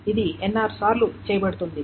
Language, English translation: Telugu, This is being done NR times